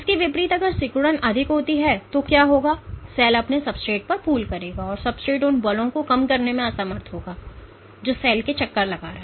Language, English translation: Hindi, In contrast if contractility is way higher then what will happen is the cell will pool on its substrate the substrate will be in unable to reduce those forces leading to the cell rounding